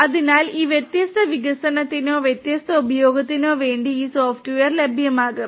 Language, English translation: Malayalam, So, these software will be made available for these different development and or different use